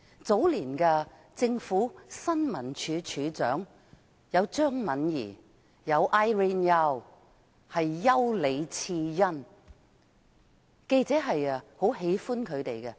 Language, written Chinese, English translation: Cantonese, 早年的新聞處處長，有張敏儀及丘李賜恩，記者都很喜歡她們。, The former Directors of Information Services of the early years like CHEUNG Man - yee and Irene YAU were liked by journalists